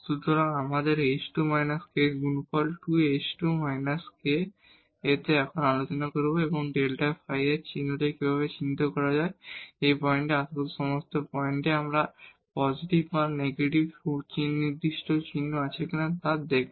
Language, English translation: Bengali, So, we have the product of h square minus k into 2 h square minus k and now we will discuss how to identify the sign of this delta phi whether we have a definite sign either positive or negative at all the points in the neighborhood of this point or the sign changes